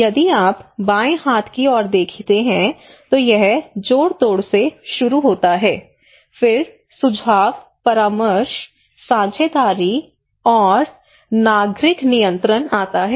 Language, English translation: Hindi, If you look into the left hand side you can see there is starting from manipulations then informations, consultations, partnership, and citizen control